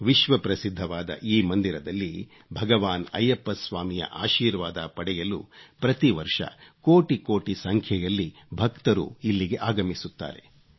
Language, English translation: Kannada, Millions of devotees come to this world famous temple, seeking blessings of Lord Ayyappa Swami